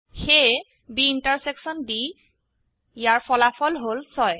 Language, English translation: Assamese, So the result of B intersection D is 6